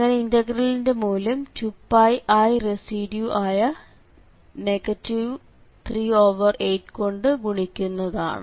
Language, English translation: Malayalam, So, the value of this integral is going to 2 Pi i the value of the residue which is minus 3 by 8